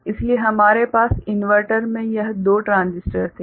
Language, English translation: Hindi, So, we had this two transistors there inverter